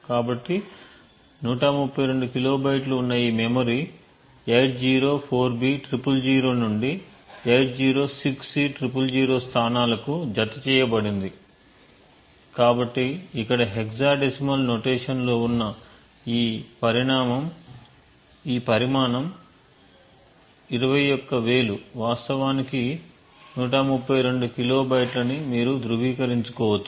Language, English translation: Telugu, So, this memory has got attached to the locations 804b000 to 806c000 and the size is 132 kilobytes, so you can verify that this size 21000 which is in hexadecimal notation over here is in fact 132 kilobytes